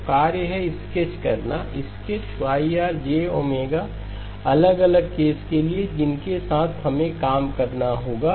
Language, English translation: Hindi, So the task is to sketch, sketch Yr of j omega magnitude under the different cases that we will have to work with